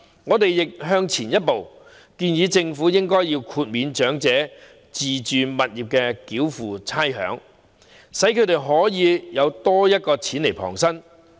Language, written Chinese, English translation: Cantonese, 我們亦多走一步，建議政府豁免長者自住物業繳付差餉，讓他們可以有多些錢旁身。, We also take one further step to suggest that the Government exempts elderly persons from payment of rates for owner - occupied properties so that they can have more money on hand at their disposal